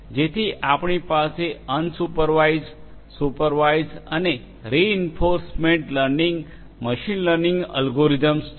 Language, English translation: Gujarati, So, we have unsupervised, supervised and reinforcement learning machine learning algorithms